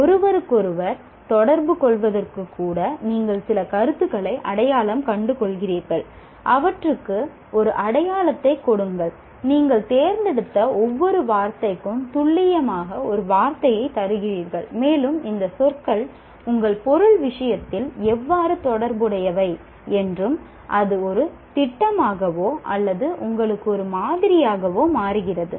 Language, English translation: Tamil, So you identify, even to communicate with each other, you identify certain concepts, give them a label and say precisely you give a meaning, a definition to each word that you chose and you say how these are words are related with respect to your subject matter and that becomes a schema or a model for you